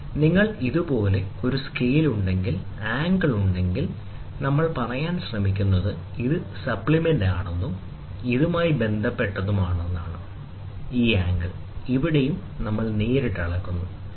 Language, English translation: Malayalam, Suppose, if you have a scale like this and then you have something like this as an angle, ok, so what we are trying to say is this is supplement and with respect to this, this is also supplement, ok